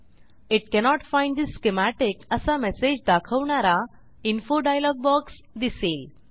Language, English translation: Marathi, An info dialog box will appear which says that it cannot find the schematic